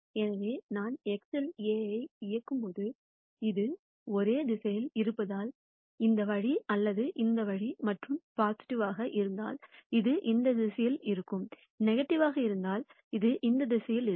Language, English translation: Tamil, So, when I operate A on x, since its in the same direction, its either this way or this way and if lambda is positive, it will be in this direction and if lambda is negative, it will be in this direction and so on